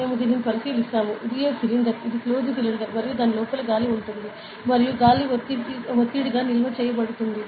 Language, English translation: Telugu, So, we consider this, this is a cylinder this is closed cylinder and inside it there is air is there; and air is stored as a pressure, ok